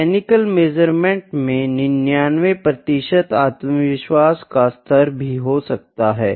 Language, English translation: Hindi, In mechanical measurements 99 per 99 percent confidence level could also be there